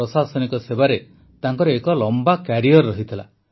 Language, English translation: Odia, He had a long career in the administrative service